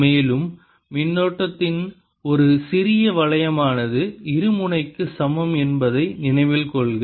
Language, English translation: Tamil, also recall that a small loop of current is equivalent to a dipole